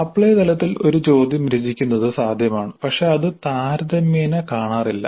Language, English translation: Malayalam, It is possible to compose a question at apply level but that is relatively less popular